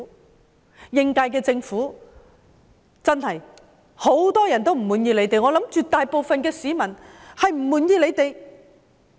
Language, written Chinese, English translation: Cantonese, 對於應屆政府，真是很多人都不滿意，相信絕大部分市民都不滿意。, It is true that many people are not satisfied with the incumbent Government and I believe that a majority of the public are not satisfied